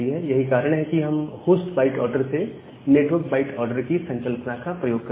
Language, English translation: Hindi, So that is the idea of converting the port number from the host byte order to the network byte order